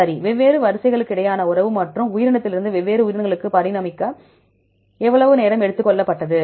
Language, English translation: Tamil, Right, relationship among the different sequences and how far the time taken to evolve from one organism to different organisms right